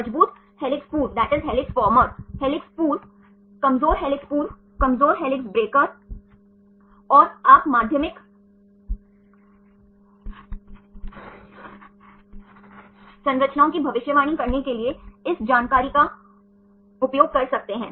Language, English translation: Hindi, Strong helix former, helix former, weak helix former, weak helix breaker, helix breaker and strong helix breaker and you can use this information to predict the secondary structures